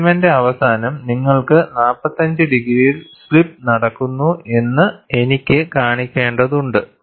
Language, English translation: Malayalam, I have to show, at the end of the specimen, you should have slip taking place at 45 degrees